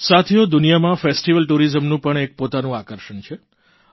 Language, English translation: Gujarati, Friends, festival tourism has its own exciting attractions